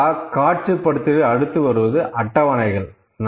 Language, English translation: Tamil, Now, next in data visualisation next comes is tables